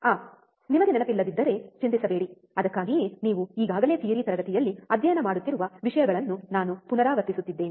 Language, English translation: Kannada, Ah if you do not remember do not worry that is why I am kind of repeating the things that you have already been studying in the theory class